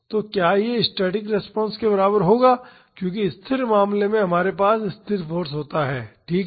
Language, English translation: Hindi, So, will this be equal to the static response because in the static case we have a constant force, right